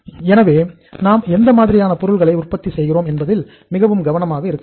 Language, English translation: Tamil, So we have to be very very careful that what kind of the product we are manufacturing